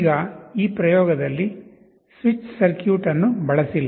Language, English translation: Kannada, Now the switch circuit is not used in this experiment